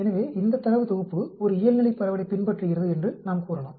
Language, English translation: Tamil, So, we can say this data set follows a normal distribution